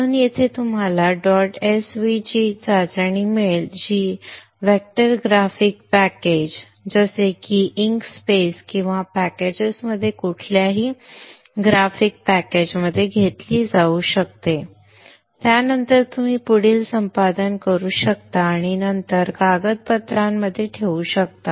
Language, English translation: Marathi, tv which can which which can be taken into any of the graphics package like vector graphics package like INScape or any such similar packages and you can do further editing and then put into the documentation